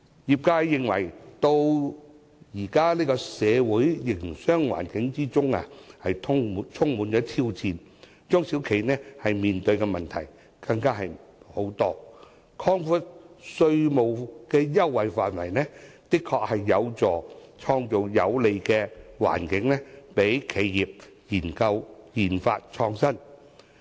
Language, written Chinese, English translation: Cantonese, 業界認為，現今社會的營商環境充滿挑戰，而中小企面對的問題相當多，故此，擴闊稅務優惠範圍，的確有助創造有利企業研發創新的環境。, The industries are of the view that since the business environment nowadays is full of challenges and SMEs are faced with many problems expanding the scope of tax concessions will surely help create a favourable environment for the research and development RD of enterprises